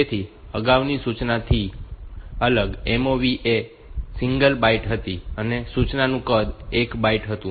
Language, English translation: Gujarati, So, different from the previous instruction is that a MOV instruction was a single byte, instruction size of the instruction was 1 byte